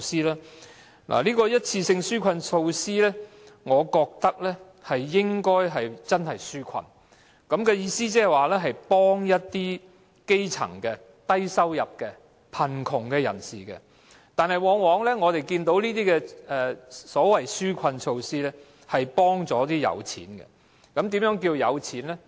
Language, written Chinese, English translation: Cantonese, 對於一次性紓困措施，我覺得這些措施應該真的用作紓困，意思是幫助一些基層的、低收入的或貧窮人士，但我們往往看到的是，這些所謂紓困措施只是幫助有錢人。, With regard to one - off relief measures I think they should really serve the purpose of providing relief to people in difficulties which means helping the grassroots low - income earners or the poor but we often see that these so - called relief measures are only helping the rich